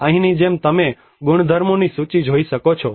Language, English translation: Gujarati, Like here you can see a list of properties